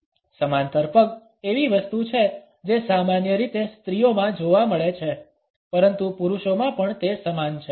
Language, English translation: Gujarati, Parallel legs is something which is normally seen in women, but it is also same in men also